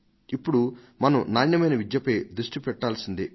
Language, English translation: Telugu, Now we will have to focus on quality education